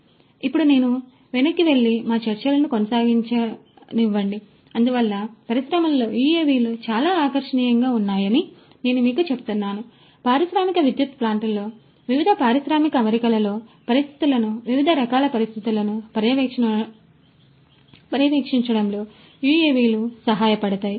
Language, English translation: Telugu, So, let me now go back and continue with our discussions so I was telling you that UAVs are very attractive in the industry; UAVs could help in you know monitoring the conditions, different types of conditions in the industrial power plants, in the different industrial settings